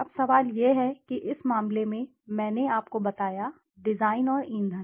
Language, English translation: Hindi, Now the question is, in this case I told you, design and fuel